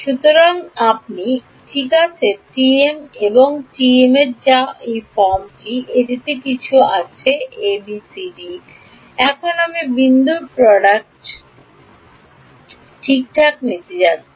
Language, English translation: Bengali, So, you have a T m and T n which is of this form it has some A B C D, and I am going to take the dot product ok